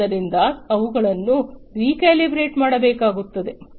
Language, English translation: Kannada, So, they will have to be recalibrated